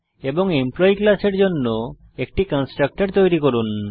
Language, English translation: Bengali, And Create a constructor for the class Employee